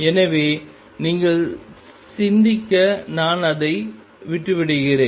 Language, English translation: Tamil, So, I leave that for you to think about